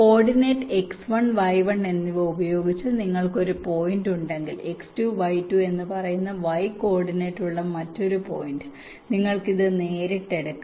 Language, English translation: Malayalam, if you have one point with coordinate x one and y one, another point with coordinate y, say x two and y two